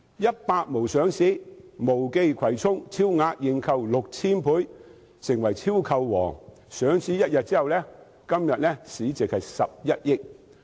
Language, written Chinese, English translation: Cantonese, "100 毛"的母公司毛記葵涌有限公司上市，超額認購 6,000 倍，成為"超購王"，上市1天後，其市值是11億元。, When Most Kwai Chung Limited the parent company of 100 Most was listed it was oversubscribed by 6 000 times and hit the record of oversubscription . A day after it became listed its market value was 1.1 billion